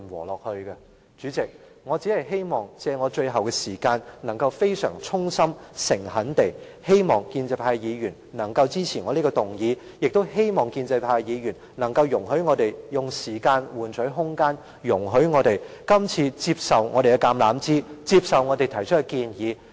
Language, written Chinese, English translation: Cantonese, 代理主席，我希望藉最後的發言時間，以非常衷心和誠懇的態度，呼籲建制派的議員支持我這項議案，更希望建制派議員容許我們以時間換取空間，接受我們今次伸出的橄欖枝，接受我們提出的建議。, Deputy President I hope to take this opportunity of making a final reply to call on Members of the pro - establishment camp with the most sincere and earnest attitude to support this motion of mine . What is more I hope they can let us buy time by accepting the olive branch extended by us and taking on board our proposal